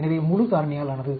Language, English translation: Tamil, So, full factorial